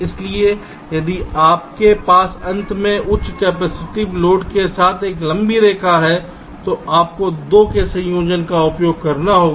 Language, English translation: Hindi, so if you have a long line with high capacitance load at the end, you have to use a combination of the two